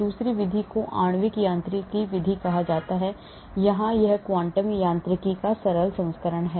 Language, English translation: Hindi, The other method is called the molecular mechanics method, here this is the simpler version of quantum mechanics